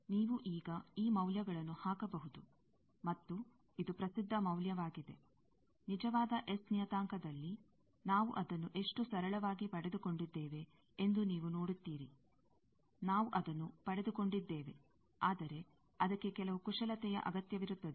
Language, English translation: Kannada, So that you can put now the values, and this is the well known value; you see, how simply we got it in actual S parameter, things we have derived that, but, that requires some manipulation